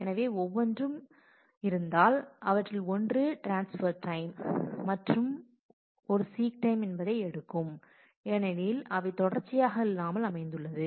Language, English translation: Tamil, So, if each one of that will take a transfer time plus a seek time because they are not consecutively located